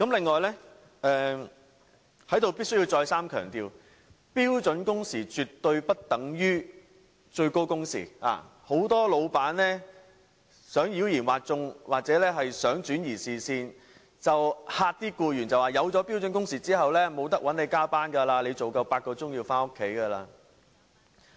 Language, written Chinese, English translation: Cantonese, 我在此必須再三強調，標準工時絕對不等於最高工時，很多老闆想妖言惑眾，又或想轉移視線，恐嚇僱員設立標準工時之後便無法找他們加班，僱員工作滿8小時便要回家。, How can this loophole be plugged? . I must stress once again that standard working hours is not equivalent to maximum working hours . Some employers spread fallacies or diverted attention by intimidating employees saying that employees could not be asked to work overtime after the prescription of standard working hours that employees must go home after eight hours of work